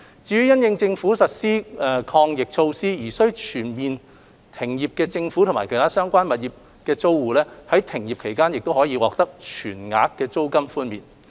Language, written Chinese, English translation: Cantonese, 至於因應政府實施抗疫措施而須全面停業的政府及其他相關物業租戶，在停業期間更可獲全額租金寬免。, As for businesses operating in government premises and other related properties which have to completely cease operation due to anti - epidemic measures imposed by the Government they will receive a full rental waiver during the closure period